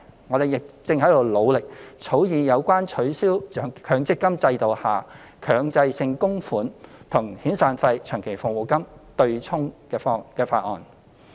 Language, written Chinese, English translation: Cantonese, 我們亦正在努力草擬有關取消強制性公積金制度下僱主強制性供款與遣散費及長期服務金"對沖"安排的法案。, We are also working actively to draft a bill on the abolition of the arrangement of using employers mandatory contributions under the Mandatory Provident Fund System to offset severance payment and long service payment